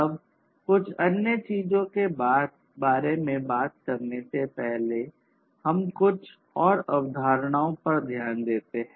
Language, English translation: Hindi, Now, let us look at few more concepts before we talk about few other things